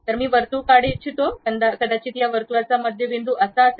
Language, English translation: Marathi, Circle I would like to draw, maybe center of that circle is this point